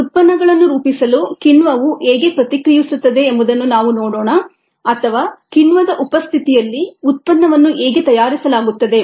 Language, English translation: Kannada, let us see how an enzyme ah, reacts to form the products or how the product is made in the presence of an enzymes